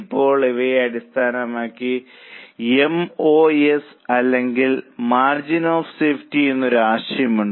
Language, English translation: Malayalam, Now based on this there is a concept called as MOS or margin of safety